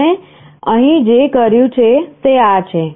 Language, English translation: Gujarati, What we have done here is this